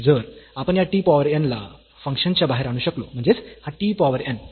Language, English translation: Marathi, And, if we can bring this t power n out of the function; that means, this t power n